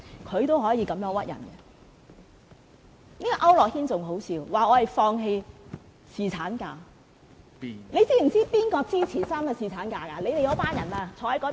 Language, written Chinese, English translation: Cantonese, 區諾軒議員更可笑，說我們放棄侍產假，你知道誰支持3天侍產假嗎？, Mr AU Nok - hin is even more ridiculous in saying that we gave up on striving for paternity leave . Do you know who supported three days of paternity leave?